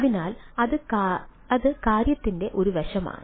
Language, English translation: Malayalam, so that is one of the aspects of the thing